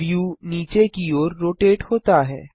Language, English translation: Hindi, The view rotates downwards